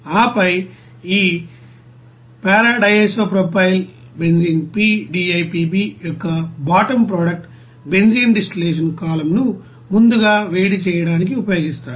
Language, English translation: Telugu, And then bottom product of this p DIPB is used for pre heating the benzene distillation column